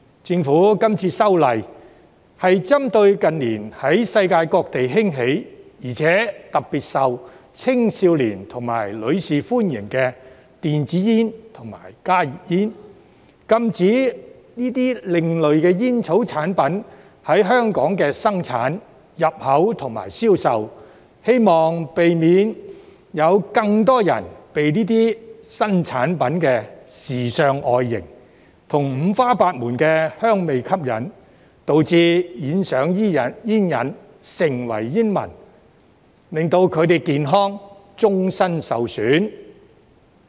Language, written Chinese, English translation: Cantonese, 政府這次修例，是針對近年在世界各地興起，而且特別受青少年和女士歡迎的電子煙及加熱煙，禁止這些另類吸煙產品在香港生產、入口和銷售，希望避免有更多人被這些新產品的時尚外型，以及五花八門的香味吸引，導致染上煙癮，成為煙民，令他們的健康終身受損。, The Government introduces the legislative amendments this time around targeting at electronic cigarettes and heated tobacco products HTPs which have emerged around the world in recent years and are particularly popular among young people and women . The aim is to prohibit the manufacture import and sale of such alternative smoking products in Hong Kong . It is hoped that the ban can prevent more people from being attracted by the trendy appearance and various flavours of these new products to become addicted to smoking and then become smokers which will inflict lifelong damage on their health